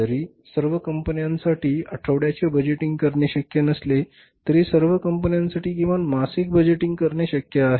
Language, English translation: Marathi, So, though the weekly budget is, budgeting is not possible for all the companies, but at least monthly budgeting, monthly budgeting is possible for all the companies